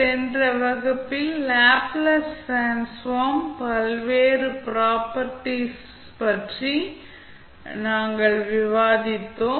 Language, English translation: Tamil, In the last class, we were discussing about the various properties of Laplace transform